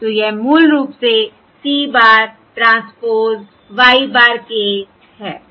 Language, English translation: Hindi, So this is basically c bar transpose y bar k